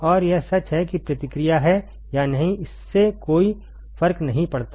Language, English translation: Hindi, And it is true whether feedback is there or not does not matter